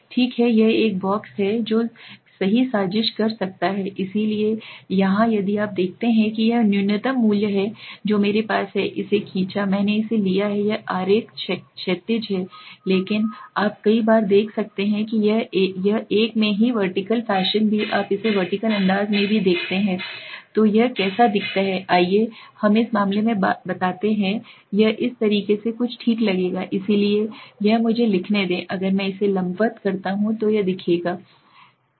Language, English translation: Hindi, Okay, this is a box which can plot right, so here if you see now this is the minimum value I have drawn it, I have taken it this diagram is horizontal but you might see many a times it is in a vertical fashion also you see it in a vertical fashion so how does it look like, let us say in this case it would look something like this okay, so this is let me write, if I do it vertically it would look like this okay, then